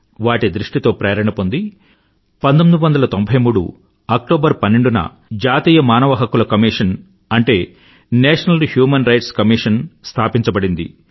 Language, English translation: Telugu, Inspired by his vision, the 'National Human Rights Commission' NHRC was formed on 12th October 1993